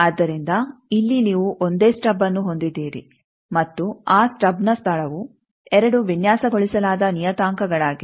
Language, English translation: Kannada, So, here you have only a single stub and the location of that stub these are the 2 designed parameters